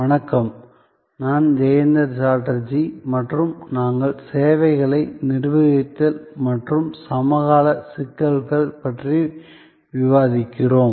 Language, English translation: Tamil, Hello, I am Jayanta Chatterjee and we are discussing about Managing Services and the Contemporary Issues